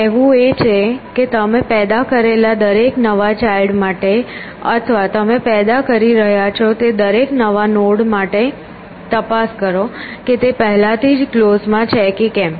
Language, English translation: Gujarati, Saying is that for every new child that you are generated or every new node that you are generating check whether it is already present in close